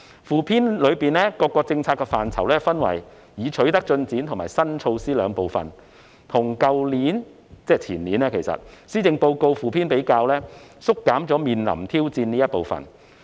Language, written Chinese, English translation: Cantonese, 附篇將各個政策範疇分為已取得進展及新措施兩個部分，而與去年——其實即是前年——的附篇比較，每章縮減了"面臨挑戰"部分。, In the Supplement each policy area is presented in two parts namely Progress Made and New Initiatives and as compared with the Supplement published last year―actually the year before last―the part of Challenges Ahead has been cut out from each chapter